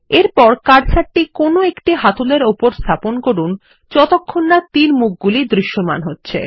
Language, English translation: Bengali, Next, place the cursor on one of the handles till arrowheads is visible